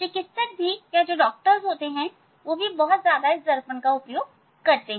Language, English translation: Hindi, doctor also very frequently they use this mirror